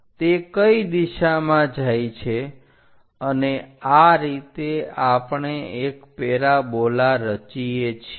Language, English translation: Gujarati, It goes in that direction, and this is the way we construct a parabola